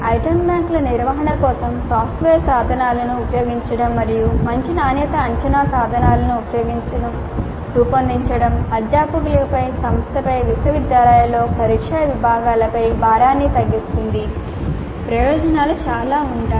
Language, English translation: Telugu, Use of software tools for management of item banks and generating good quality assessment instruments will reduce the load on the faculty, on the institute, on the university, on the exam sections